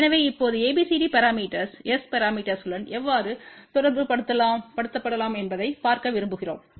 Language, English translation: Tamil, So, now, we want to actually see how abcd parameters can be related with S parameters